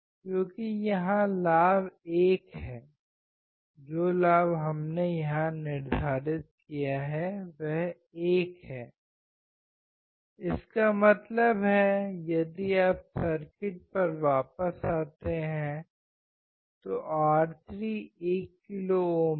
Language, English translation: Hindi, Because the gain here is 1, the gain that we have set here is 1; that means, if you come back to the circuit R3 is 1 kilo ohm